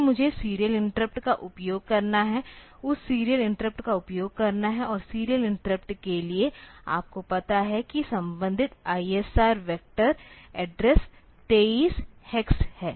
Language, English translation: Hindi, Then I have to use the serial interrupts, that serial interrupt has to be used, and for the serial interrupt you know that the corresponding I S R address I S R vector address is 23 hex